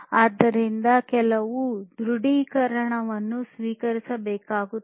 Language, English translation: Kannada, So, some confirmation right some confirmation has to be received